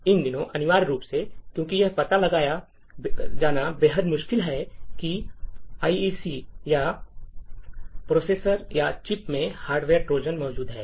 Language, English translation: Hindi, These days, essentially, because it is extremely difficult to detect whether an IC or a processor or a chip is having a hardware Trojan present within it